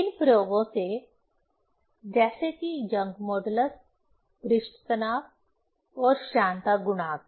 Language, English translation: Hindi, From these experiments, like young modulus, surface tension, viscosity coefficient